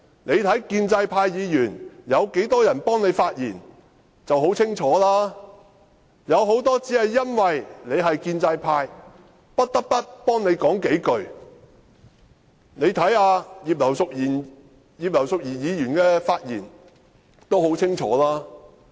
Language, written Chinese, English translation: Cantonese, 他看看建制派議員有多少人為他發言，便很清楚，有很多建制派議員只因他是建制派，不得不為他說數句話，大家看看葉劉淑儀議員的發言已很清楚。, Take a look at the number of pro - establishment Members who have spoken for him and the answer is clear . Many pro - establishment legislators feel obliged to say a few words for him simply because he is a member of their camp . Listen to the speech made by Mrs Regina IP and you can tell